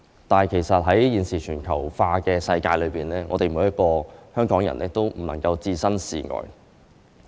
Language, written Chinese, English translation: Cantonese, 但其實在現時全球化的世界中，每一個香港人都不能置身事外。, But in fact none of us in Hong Kong can be an outsider in this globalized world